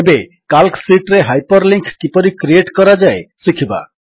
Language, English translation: Odia, Now, lets learn how to create Hyperlinks in Calc sheets